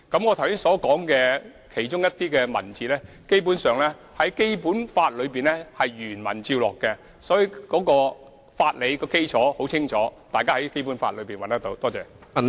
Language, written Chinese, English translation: Cantonese, 其實，我剛才提述的某些文字，基本上是從《基本法》原文照錄，所以相關的法理基礎已很清楚，大家可以在《基本法》中找到。, Basically some terms and wordings which I have used just now are in fact taken directly from the Basic Law . The relevant legal basis is thus very clear and it is enshrined in the Basic Law for all to see